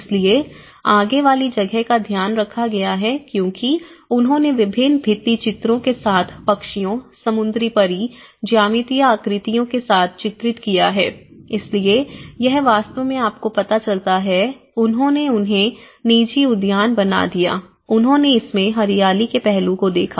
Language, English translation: Hindi, So, the fronts have been taken care of because they have painted with various murals with drawings like birds, mermaids, geometric figures, so this actually shows you know, they made them private gardens into it, they looked into the green concerns of it